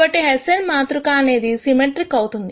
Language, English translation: Telugu, So, the hessian matrix is going to be symmetric